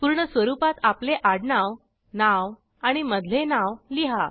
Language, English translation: Marathi, Write your surname, first name and middle name, in full form